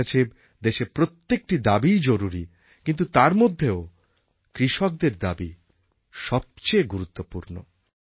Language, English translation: Bengali, For me, every single voice in the Nation is important but most important to me is the voice of the farmer